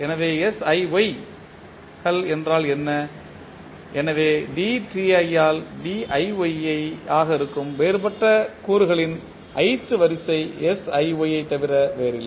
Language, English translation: Tamil, So, what is siYs so the ith order of the differential component that is diY by dti is nothing but siY